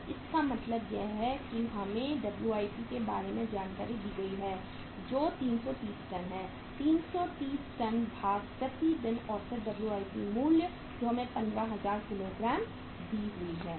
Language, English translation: Hindi, So it means WIP uh we are given information about the WIPs that is 330 tons, 330 tons divided by average WIP value committed per day which is given to us that is 15000 kgs